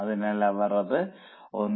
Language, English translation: Malayalam, So, now 1